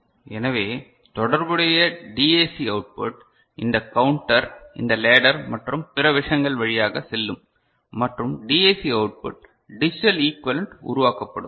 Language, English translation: Tamil, So, the corresponding DAC output the corresponding DAC so, this counter will go through this ladder and other things and all and DAC output you know in digital equivalent will be generated